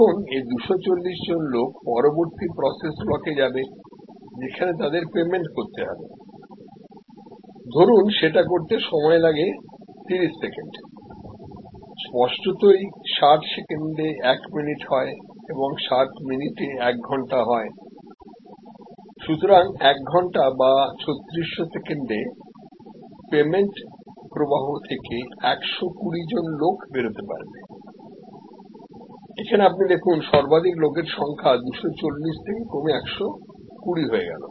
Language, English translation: Bengali, Now, these 240 people then go to the next process block which is making payment, suppose that takes 30 second; obviously, therefore, 3600 seconds 60 seconds to a minute multiplied by 60 minutes to an hour, so 120 people can be processed, you can see that a flow of 240 now drop to 120